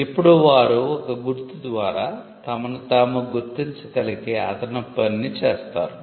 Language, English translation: Telugu, Now they perform an additional function of people being able to identify themselves through a mark